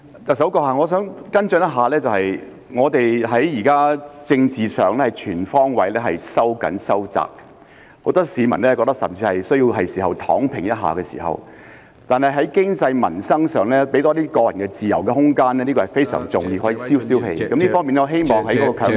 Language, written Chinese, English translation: Cantonese, 特首，我想跟進一下，現在我們在政治上全方位收緊和收窄，很多市民甚至認為需要"躺平"一下；但在經濟、民生上，多給予個人自由和空間是非常重要的，可以消一消氣，我希望是否可以考慮將強積金放寬......, With a blanket tightening of political controls now in place many people even think that they need to lie flat . However it is very important to offer more individual freedom and leeway in economic and livelihood matters in order to placate the people . I wonder whether consideration may be given to relaxing MPF